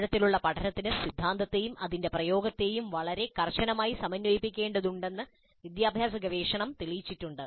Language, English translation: Malayalam, And the educational research has shown that deep learning requires very tight integration of theory and its application